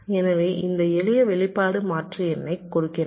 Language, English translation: Tamil, so this simple, this expression gives the number of toggle